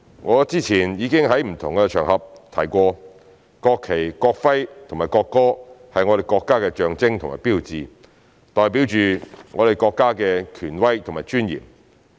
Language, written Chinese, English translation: Cantonese, 我之前已經在不同的場合提過，國旗、國徽和國歌是我們國家的象徵和標誌，代表着我們國家的權威和尊嚴。, I have mentioned in different occasions before that the national flag national emblem and national anthem are the symbols and hallmarks of our country representing national authority and dignity